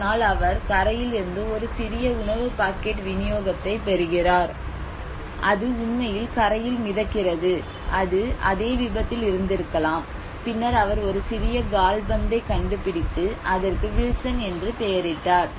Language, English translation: Tamil, One day he gets a small food packet delivery from the shore which actually float from the shore probably it could have been from the same accident and then he finds a small football and he names it as Wilson